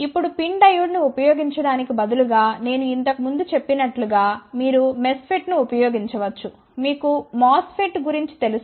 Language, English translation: Telugu, Now, instead of using pin diode one can use MESFET as I had mentioned earlier you are familiar with MOSFET